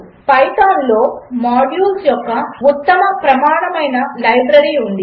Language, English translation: Telugu, Python has a very rich standard library of modules